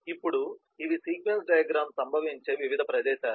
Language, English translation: Telugu, now, these are the different places where the sequence diagram can occur